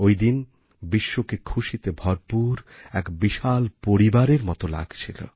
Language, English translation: Bengali, On that day, the world appeared to be like one big happy family